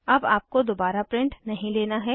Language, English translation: Hindi, You dont have to print it again